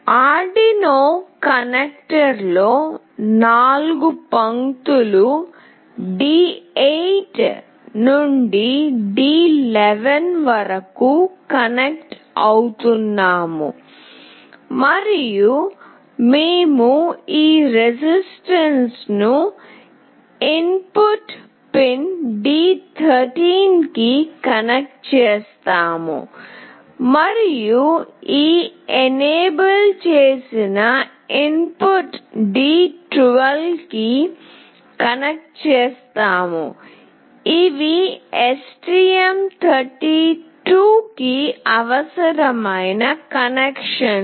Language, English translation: Telugu, We connect the 4 lines, D8 to D11 on the Arduino connector and we connect this register select to input pin D13, and we connect this enable input to D12, these are the connections that are required for STM32